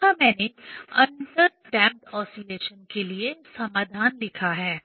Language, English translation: Hindi, Here I have written the solution for under damped condition